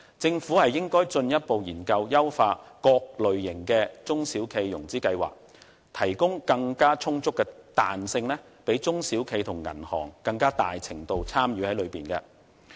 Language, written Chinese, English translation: Cantonese, 政府應該進一步研究優化各類型的中小企融資計劃，提供更充足的彈性，讓中小企和銀行更大程度參與其中。, The Government should further study the enhancement of various financing plans for SMEs so as to provide more flexibility to increase the participation of SMEs and banks